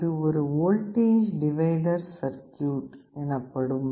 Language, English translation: Tamil, This is a voltage divider circuit